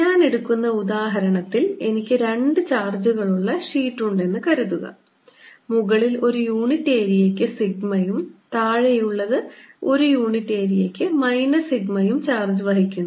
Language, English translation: Malayalam, so let us solve that example example i take: is suppose i have two sheets of charge, the upper one carrying sigma per unit area and the lower one carrying minus sigma per unit area, so that there is an electric field that exist between this two